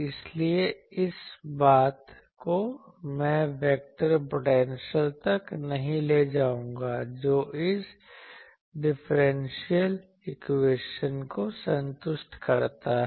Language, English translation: Hindi, So, this boils down to that I would not go these boils down to that vector potential satisfies this differential equation